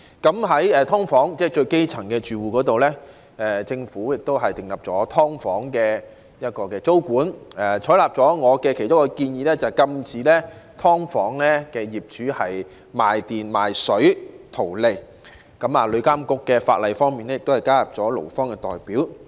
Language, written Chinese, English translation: Cantonese, 在"劏房"這種基層人士的住屋方面，政府就"劏房"訂立租金管制，並採納了我其中一項建議，禁止"劏房"業主"賣電"、"賣水"圖利，而旅遊業監管局亦加入了勞方代表。, Speaking of the grass - roots accommodation called subdivided units the Government has formulated rental control for subdivided units and taken on board one of my proposals prohibiting subdivided unit owners from reaping profits by overcharging electricity and water fees . Besides the Travel Industry Authority has also included employees representatives